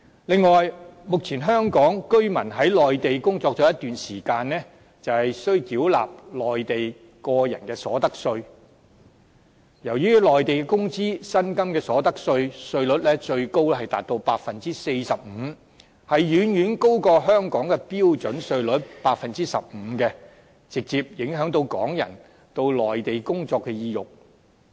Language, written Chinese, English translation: Cantonese, 另外，目前香港居民在內地工作了一段時間，便需繳納內地個人所得稅，由於內地工資、薪金的所得稅，稅率最高達到 45%， 遠遠高於香港的標準稅率 15%， 直接影響港人到內地工作的意欲。, Besides after working in the Mainland for a period of time Hong Kong people currently need to pay individual income tax . Since the tax rate for the wages or salaries earned in the Mainland can be as high as 45 % a level much higher than the standard tax rate of 15 % in Hong Kong Hong Kong peoples desire of working in the Mainland is directly dampened